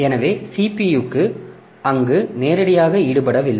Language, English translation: Tamil, So, CPU is not directly involved there